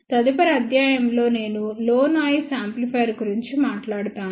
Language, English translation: Telugu, In the next lecture, I talk about low noise amplifier